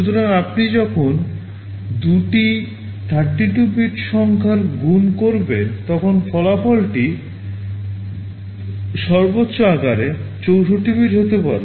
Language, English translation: Bengali, So, when you multiply two 32 bit numbers the result can be maximum 64 bit in size